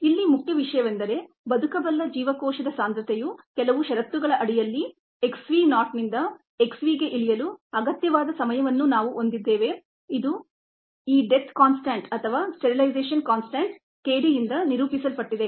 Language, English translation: Kannada, the main thing here is that we have the time that is necessary for the viable cell concentration to go down from x v naught to x v under certain set of conditions, which is characterized by this death constant k d or this sterilization constant k d